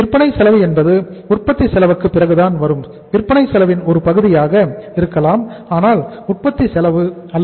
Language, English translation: Tamil, Selling cost is after the cost of production that maybe the part of the cost of sales but not cost of production